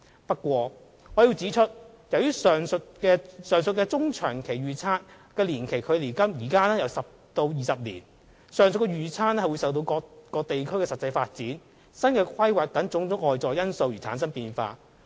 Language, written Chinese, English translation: Cantonese, 不過，我要指出，由於上述中長期預測的年期距今有10年至20年，上述預測會受各地區的實際發展、新規劃等種種外在因素影響而出現變化。, However I would like to point out that as the aforementioned medium - to - long - term estimates are for 10 to 20 years from the present they are subject to changes as a result of external factors such as developments of the three regions and new planning initiatives